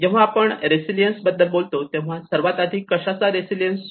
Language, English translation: Marathi, So when we talk about resilience, first of all resilience to what